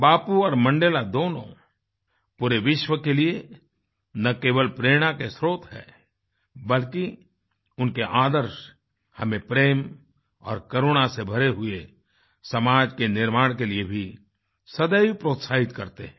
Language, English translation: Hindi, Both Bapu and Mandela are not only sources of inspiration for the entire world, but their ideals have always encouraged us to create a society full of love and compassion